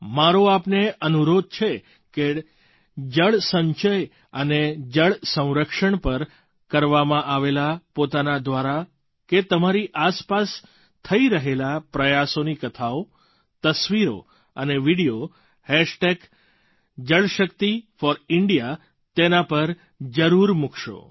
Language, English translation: Gujarati, I urge you to share without fail, stories, photos & videos of such endeavours of water conservation and water harvesting undertaken by you or those around you using Jalshakti4India